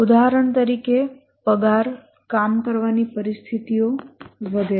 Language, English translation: Gujarati, For example, the pay, working conditions, etc